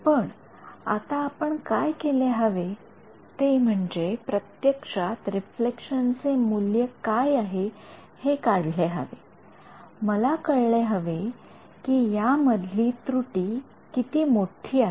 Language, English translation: Marathi, But, now what we should try to do is actually calculate what is a value of this reflection, I should know right how bad is my error